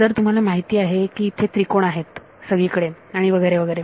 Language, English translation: Marathi, So, there are you know triangles everywhere and so on